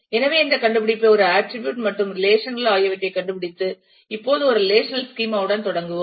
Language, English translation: Tamil, So, having done this finding having found out this entity an attributes and the relationships let us now start with a relational schema